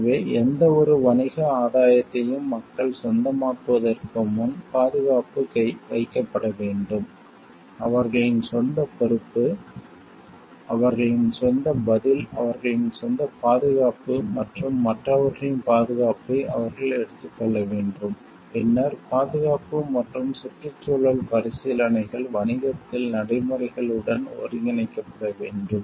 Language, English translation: Tamil, So, safety needs to be placed before any commercial gain people have to own, their own responsibility they have to take ownership of their own response, their own safety and their safety of others, then the safety and environmental considerations need to be integrated into business practices